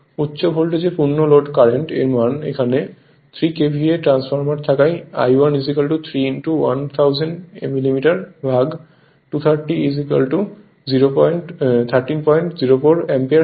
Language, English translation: Bengali, Full load current in the high your high voltage winding; this 3 KVA transformer, so I 1 is equal to 3 into 1000 mm by 230 is equal to 13